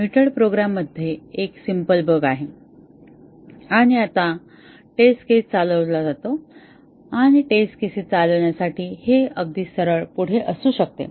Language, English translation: Marathi, A mutated program has a simple bug and now, the test case is run and it may be quite straight forward to run the test cases